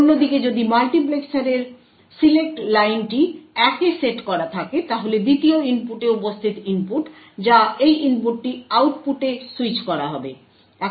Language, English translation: Bengali, On the other hand, if the select line of the multiplexer is set to 1 then the input present at the 2nd input that is this input would be switched at the output